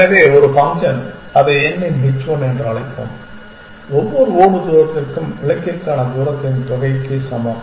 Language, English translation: Tamil, So, one function is let us calling it h 1 of n is equal to sum of the distance for each tile distance to goal